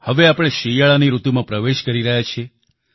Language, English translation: Gujarati, We are now stepping into the winter season